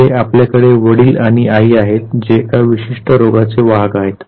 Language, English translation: Marathi, Here you have the father and the mother who are carriers of a given disease